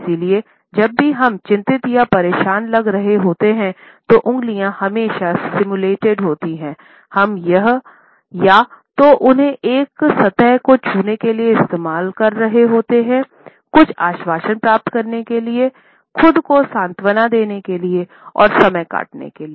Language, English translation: Hindi, And therefore, whenever we feel anxious or upset, these fingertips always are simulated and we use them either to touch a surface, to get certain assurance, to caress ourselves, to console ourselves, to while away the time in a very unconscious manner